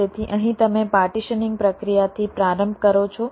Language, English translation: Gujarati, so here you start from the partitioning process